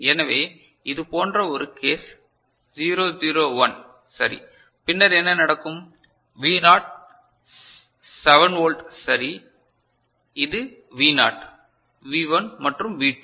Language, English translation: Tamil, So, this is one such case 0 0 1 right, then what will happen V naught is 7 volt right, this is your V naught V1 and V2 right